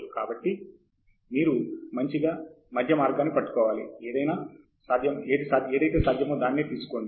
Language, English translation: Telugu, So, you have to hit a nice middle path; you take what is possible